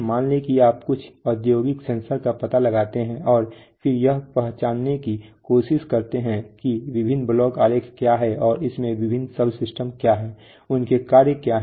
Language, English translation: Hindi, Let us say you locate some industrial sensor and then try to identify that what are the various block diagrams, and what are the various subsystems in it, what are their functions